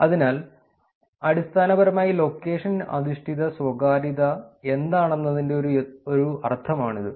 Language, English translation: Malayalam, So, that is basically a sense of what location based privacy is